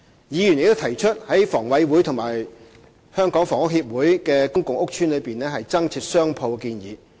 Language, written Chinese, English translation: Cantonese, 議員亦提出在房委會和香港房屋協會的公共屋邨內增設商鋪的建議。, Some Members have also proposed the provision of additional shops in public housing estates under HA and the Hong Kong Housing Society HKHS